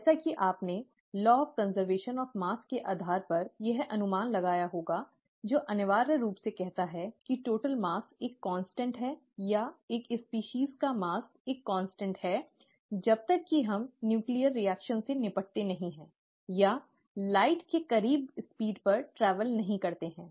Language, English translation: Hindi, As you would have guessed this based on the law of conservation of mass, which essentially says that the total mass is a constant as or the mass of a species is a constant as long as we do not deal with nuclear reactions or travel at speeds close to that of light